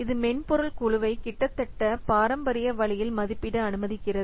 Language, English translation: Tamil, It permits the software group to estimate in an almost traditional fashion